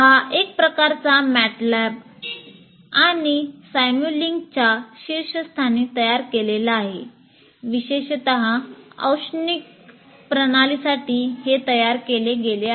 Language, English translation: Marathi, So it's a kind of built on top of MATLAB and simulink, but specifically for thermal systems